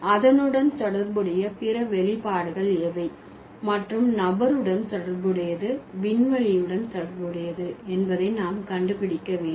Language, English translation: Tamil, So, we need to find out what are the other expressions associated with it and what kind of, so what kind of expression, whether related to person, related to space, related to time